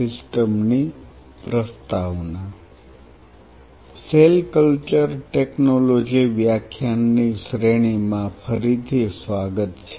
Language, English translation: Gujarati, Welcome back to the lecture series in Cell Culture Technology